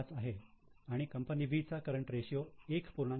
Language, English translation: Marathi, 5 and company B has current ratio of 1